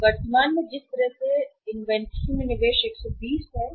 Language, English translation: Hindi, So current way investment in the inventory is 120